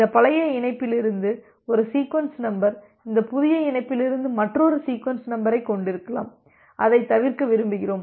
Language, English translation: Tamil, So, you can have one sequence number from this old connection another sequence number from this new connection and we want to avoid that